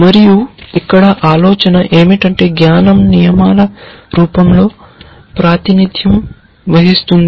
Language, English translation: Telugu, And the idea here is that knowledge is represented in the form of rules